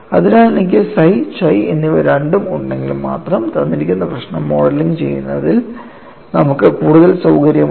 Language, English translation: Malayalam, So, only if I have both of them, psi and chi, you have more flexibility in modeling a given problem; you can have a hint site of that